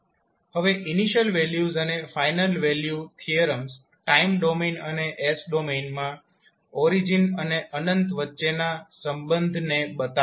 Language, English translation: Gujarati, Now initial values and final value theorems shows the relationship between origin and the infinity in the time domain as well as in the s domain